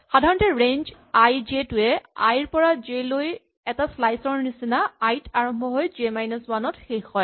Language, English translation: Assamese, In general range i, j, like a slice i to j, starts at i and goes up to j minus 1